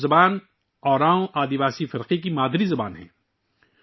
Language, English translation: Urdu, Kudukh language is the mother tongue of the Oraon tribal community